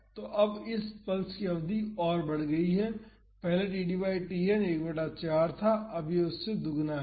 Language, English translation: Hindi, So, now, the duration of this pulse has increased earlier the td by Tn was 1 by 4 now it is double of that